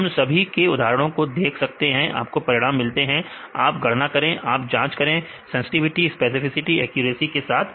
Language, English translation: Hindi, So, we can see the all the examples right data examples you can get the full results right you can calculate you assess with the sensitivity, specificity and accuracy right